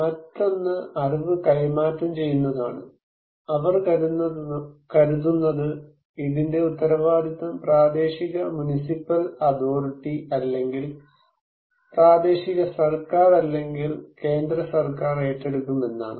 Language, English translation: Malayalam, Other one is that the transferring of knowledge, they want to take the responsibility by others like local municipal authority or by the central government on regional government